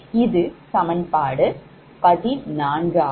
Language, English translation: Tamil, this is equation fourteen right